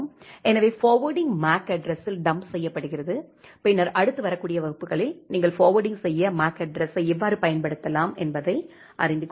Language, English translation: Tamil, So, the forwarding is dumped at the MAC address, in the later lecture you will learn how to how you can use MAC address for do the forwarding